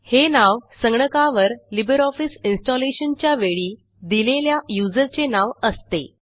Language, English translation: Marathi, The name is provided based on the name given during installation of LibreOffice as the user on the computer